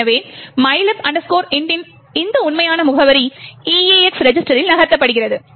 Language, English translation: Tamil, So, this actual address of mylib int is move into the EAX register